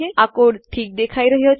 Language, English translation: Gujarati, This code looks okay